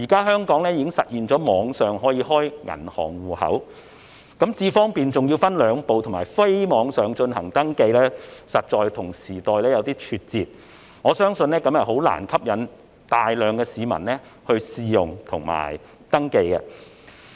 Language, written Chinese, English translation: Cantonese, 香港現時已實現網上開立銀行戶口，但"智方便"還要分兩步進行登記，以及非網上進行升級，實在與時代有點脫節，我相信這樣難以吸引大量市民試用及登記。, Yet registration for iAM Smart has to be conducted in two steps and upgrade cannot be carried out online . It is indeed a bit behind the times . As such I believe it can hardly attract a large number of people to try it and register